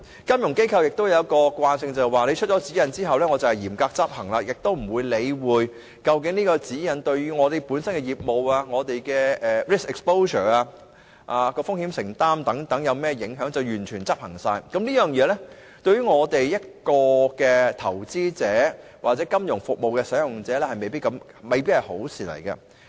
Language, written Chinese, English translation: Cantonese, 金融機構有一個特性，便是慣於嚴格執行政府當局發出的指引，不理會該指引對於其業務、所承擔的風險等有何影響，便全面執行，這對投資者或金融服務使用者來說，均未必是好事。, One of the characteristics of FIs is that they are accustomed to strictly enforce the guidelines issued by the Administration disregarding the impacts of on their business and the risk exposure to be borne . This may not be a good thing for investors or financial services users